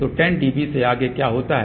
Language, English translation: Hindi, So, what happens beyond 10 dB